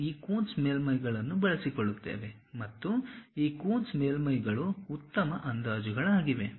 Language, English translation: Kannada, We employ these Coons surfaces and this Coons surfaces are better approximations